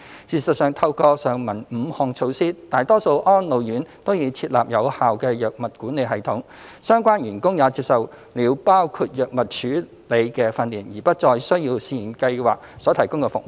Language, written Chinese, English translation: Cantonese, 事實上，透過上文5項措施，大多數安老院都已設立有效的藥物管理系統，相關員工也接受了包括藥物處理的訓練，而不再需要試驗計劃所提供的服務。, In fact with the implementation of the five measures mentioned in the above paragraphs majority of RCHEs have established effective drug management systems and their relevant staff have received training including drug management and therefore the services provided by the Pilot Scheme were no longer required